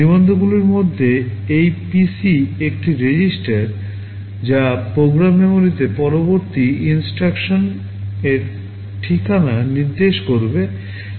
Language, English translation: Bengali, Among the registers this PC is one register which will be pointing to the address of the next instruction in the program memory